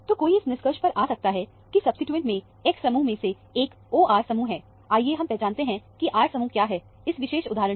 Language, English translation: Hindi, So, one can come to the conclusion that, one of the X group in the substituent is the O R group; let us identify, what is the R group, in this particular instance